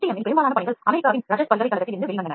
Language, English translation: Tamil, But most of the work in FDM came out from Rutgers University in USA